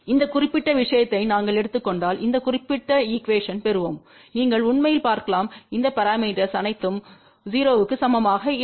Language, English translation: Tamil, If we take this particular thing we will get this particular equation and you can actually see that all these parameters are not equal to 0